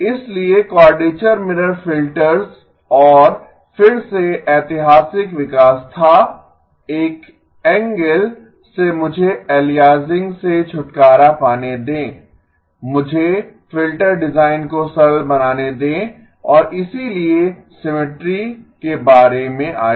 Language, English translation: Hindi, So quadrature mirror filters and again the historical development was from an angle of let me get rid of aliasing, let me simplify the filter design and so the symmetry came about